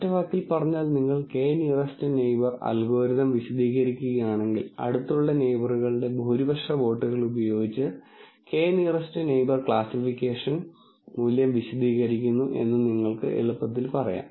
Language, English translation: Malayalam, In one word if you were to explain k nearest neighbor algorithm, you would simply say k nearest neighbor explains the categorical value, using the majority votes of nearest neighbors